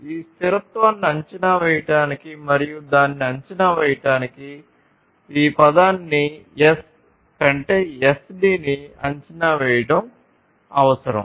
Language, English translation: Telugu, So, in order to estimate this sustainability and assess it, it is required to evaluate this term S over SD, ok